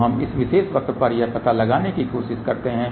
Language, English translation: Hindi, So, let us try to locate this on this particular curve here